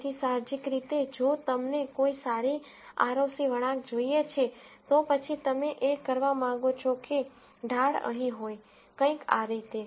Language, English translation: Gujarati, So intuitively, if you want a good ROC curve, then what you want is the slope here to be, something like this